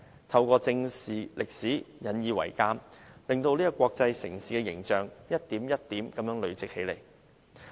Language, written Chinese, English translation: Cantonese, 透過正視歷史，引以為鑒，柏林的國際城市形象得以一點一點地累積起來。, By facing history squarely and drawing lessons from history Berlin gradually builds up its image as an international city